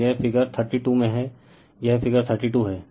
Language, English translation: Hindi, So, that is in the figure thirty 2 this is your figure 32